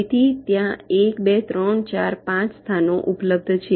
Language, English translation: Gujarati, so there are one, two, three, four, five locations available